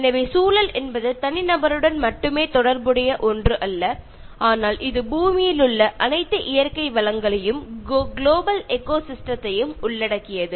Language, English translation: Tamil, So, environment is not something that is only related to the individual, but it includes all the natural life on earth as well as the global ecosystem